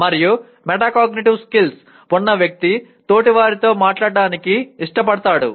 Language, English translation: Telugu, And a person with metacognitive skills he is willing to talk to the both peers and coaches